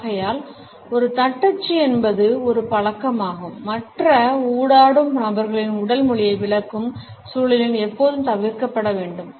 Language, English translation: Tamil, Therefore, a stereotyping is a habit should always be avoided in the context of interpreting the body language of other interactants